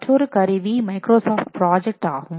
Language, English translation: Tamil, There is another tool called as a Microsoft project